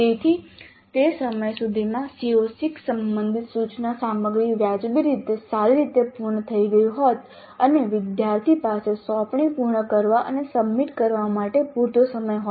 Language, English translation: Gujarati, So by the time the instructional material related to CO6 would have been completed reasonably well and the student has time enough to complete the assignment and submit it